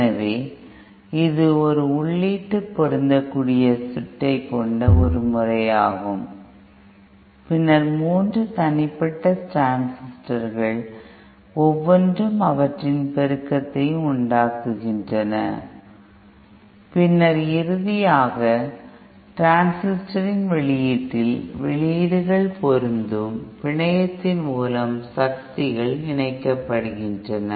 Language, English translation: Tamil, So this is one method where you have an input matching network and then three individual transistors each of which produce their amplification and then finally at the output of the transistors, the powers are combined through an output matching network